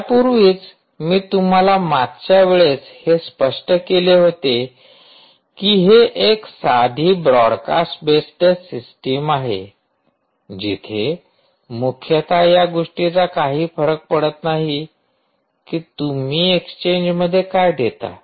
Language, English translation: Marathi, well, fan out, as i already described to you last time, is like a simple thing, which is a broadcast based system, which essentially means that it doesnt really matter what you give as an exchange